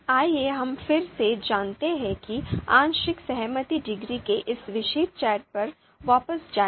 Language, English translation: Hindi, So let us again you know go back to this particular chart of partial concordance degree